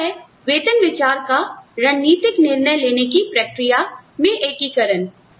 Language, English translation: Hindi, The next is integration of pay considerations into strategic decision making processes